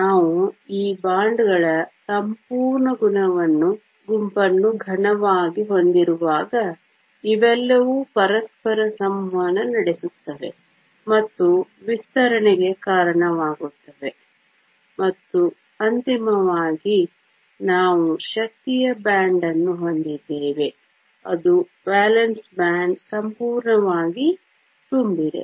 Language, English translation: Kannada, When we have a whole bunch of these bonds in a solid, they all interact with each other leading to broadening, and finally, we have an energy band which is the valence band as completely full